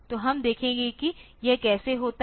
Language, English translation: Hindi, So, let us see how this thing happens